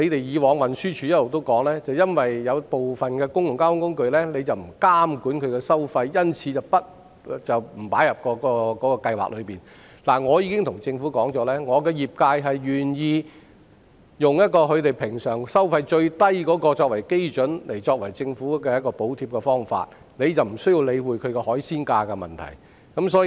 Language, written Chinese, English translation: Cantonese, 過往運輸署指出，由於部分公共交通工具的收費不受當局監管，因而沒有把它們納入相關計劃，但我已向政府反映，業界願意用平日最低收費作為政府補貼的基準，就不用理會"海鮮價"的問題。, In the past the Transport Department said that the fares of some modes of public transport were not subject to regulation by the authorities so they were not included in the relevant scheme . However I have relayed to the Government that the industry is willing to adopt the usual minimum fares as the basis for government subsidies so that the issue of seafood prices can be neglected